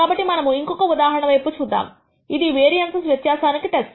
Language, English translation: Telugu, So, let us look at another example which is a test for difference in variances